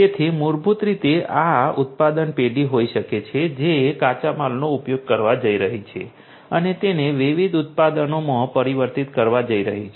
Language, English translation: Gujarati, So, basically this could be this manufacturing firm which are going to use the raw materials and are going to transform that into different products